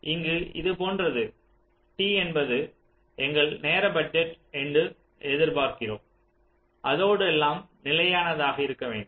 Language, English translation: Tamil, it is something like this: suppose we expect that capital t is our time budget, with which everything should get stable